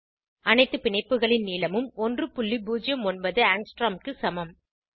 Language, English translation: Tamil, All the bond lengths are equal to 1.09 angstrom